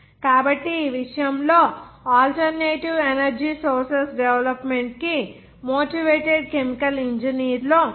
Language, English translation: Telugu, So in this regard, he is one of the pioneer chemical engineers for the development of alternative energy sources